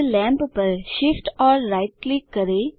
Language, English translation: Hindi, Now Shift plus right click the lamp